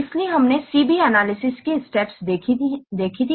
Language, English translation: Hindi, So we have seen three steps of CV analysis